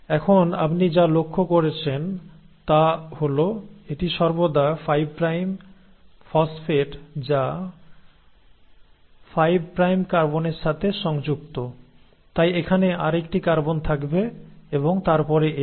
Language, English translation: Bengali, Now what you notice is that it is always the 5 prime, the phosphate which is attached to the 5 prime carbon, so you will have another carbon here and then this